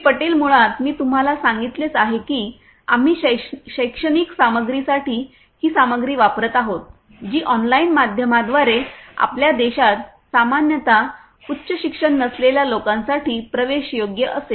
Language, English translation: Marathi, Patel basically as I have told you that we are using this thing for educational content which will be made accessible to people who do not normally have high end education in our country through online media